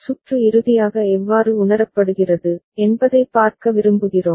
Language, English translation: Tamil, And we would like to see how the circuit is finally realized